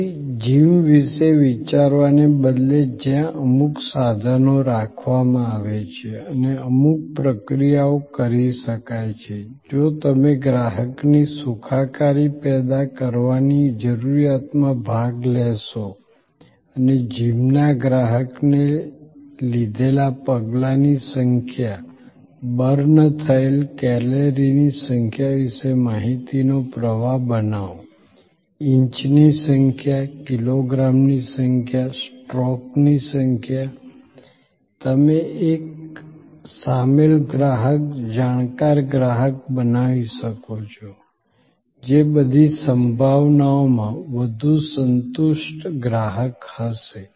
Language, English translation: Gujarati, So, instead of thinking of a gym where certain equipment are kept and certain procedures can be performed, if you participate in the customer's need of generating wellness and create information flow to the gym customer about the number of steps taken, the number of calories burned, the number of inches, number of kilograms, number of strokes, you can create an involved customer, a knowledgeable customer, who in all probability will be a more satisfied customer